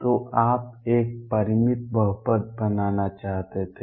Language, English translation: Hindi, So, you wanted to be a finite polynomial